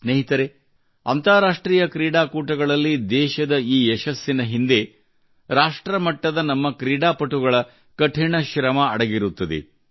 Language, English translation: Kannada, Friends, behind this success of the country in international events, is the hard work of our sportspersons at the national level